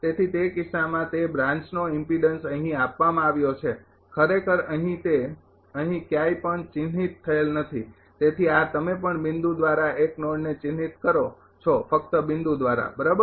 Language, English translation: Gujarati, So, in that case that branch impedance are given for actually here not marked anywhere so this you also marking 1 node by a point only by a dot right